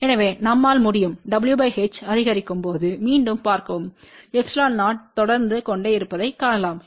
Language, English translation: Tamil, So, we can see again as w by h increases we can see that the epsilon 0 keeps on increasing